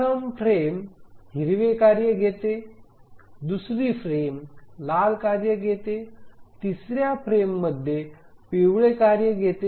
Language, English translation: Marathi, So, first frame it took up the green task, the second frame the red task, third frame, yellow task and so on